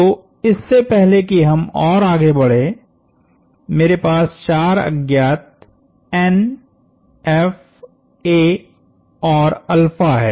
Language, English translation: Hindi, So, before we can proceed much further, I have four unknowns capital N, capital F, a and alpha